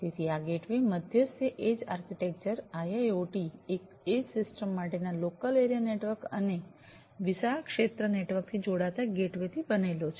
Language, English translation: Gujarati, So, this gateway mediated edge architecture consists of a local area network for the IIoT edge system and the gateway connecting to the wide area network